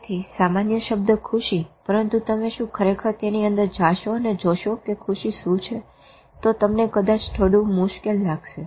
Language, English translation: Gujarati, So a general term happy but if you really go into it and see what happy is then you may really find it a bit difficult